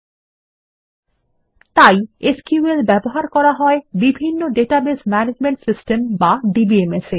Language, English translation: Bengali, And so it is used in a variety of Database Management Systems or DBMS